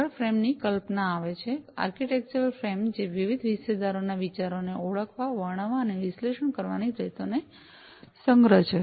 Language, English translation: Gujarati, Next comes the concept of the frame, the architectural frame, which is a collection of ways which identify, describe, and analyze the ideas of the different stakeholders